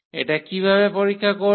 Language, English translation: Bengali, How to check this